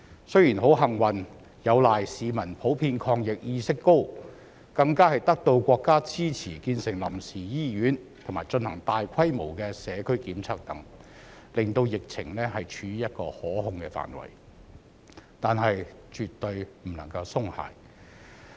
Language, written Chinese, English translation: Cantonese, 雖然很幸運，有賴市民普遍抗疫意識高，更得到國家支持建成臨時醫院，並進行大規模社區檢測等，令疫情處於可控範圍，但絕對不能夠鬆懈。, Fortunately thanks to a generally high level of anti - epidemic awareness on the part of our people and support from our country in developing a temporary hospital and conducting universal community testing the epidemic is under control but we shall by no means relax our vigilance